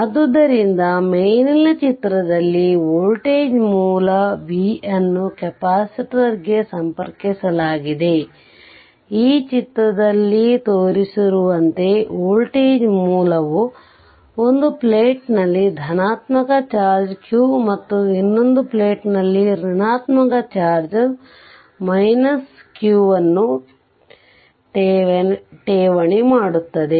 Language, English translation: Kannada, So, from the above explanation we say that where a voltage source v is connected to the capacitor, the source deposit a positive charge q on one plate and the negative charge minus q on the other plate as shown in this figure